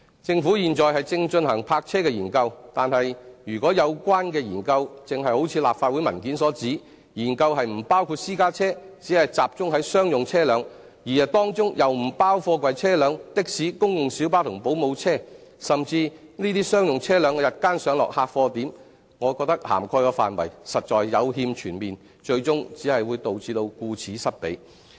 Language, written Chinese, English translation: Cantonese, 政府現正進行泊車的研究，但如果有關的研究正如立法會的文件所指，研究不包括私家車，只集中在商用車輛，而當中又不包括貨櫃車輛、的士、公共小巴及保姆車，甚至該等商用車輛的日間上落客貨點，我認為涵蓋的範圍實在有欠全面，最終只會導致顧此失彼。, The Government is currently conducting a study on parking . However if the study concerned as mentioned in the Legislative Council paper does not include private cars but only focuses on commercial vehicles and among them container trucks taxis public light buses and school private light buses are not covered while even day - time loading bays for commercial vehicles are also excluded from the study I would think that its coverage is not comprehensive enough and at the end certain aspects will surely be neglected